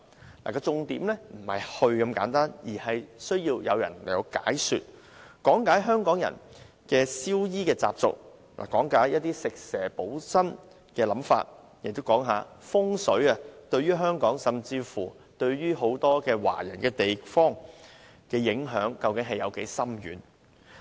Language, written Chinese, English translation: Cantonese, 重點不是帶遊客去這些地方那麼簡單，而是向遊客講解香港人的燒衣習俗、食蛇補身的概念，以至風水對香港甚或很多華人地方的深遠影響。, The focus is not simply a visit to these places but an explanation to visitors the custom of joss papers burning by Hong Kong people the concept of taking snake soup as a tonic and the profound impact of fung shui on Hong Kong and many Chinese people